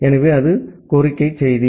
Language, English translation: Tamil, So, that was the request message